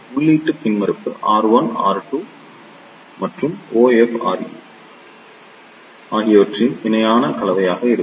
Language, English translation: Tamil, So, the input impedance will be the parallel combination of R 1 R 2 and beta R E